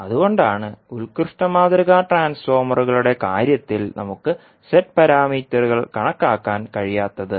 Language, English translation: Malayalam, So, that is why in case of ideal transformers we cannot calculate the Z parameters